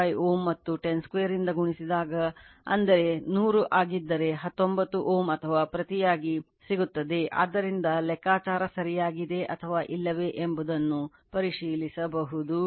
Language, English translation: Kannada, And this one if you multiply by 10 square that is 100 you will get 19 ohm or vice versa, right from that you can check whether calculation is correct or not, right